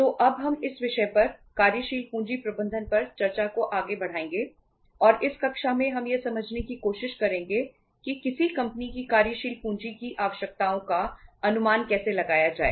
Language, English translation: Hindi, So now we will carry forward the discussion on this subject working capital management and in this class we will uh try to understand that how to estimate the working capital requirements of a company